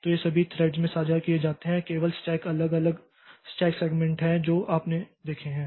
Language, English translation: Hindi, So, these are shared across all the threads, only the stacks are different, stack segments are different that we have seen